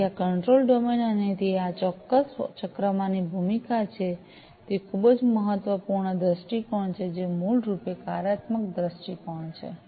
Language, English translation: Gujarati, So, this control domain and it is role in this particular cycle is a very important viewpoint, which is basically the functional viewpoint